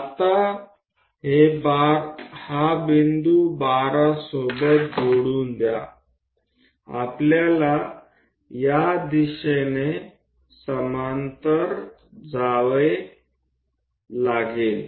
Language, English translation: Marathi, Now join this point all the way to 12, we have to usego parallely parallely in this direction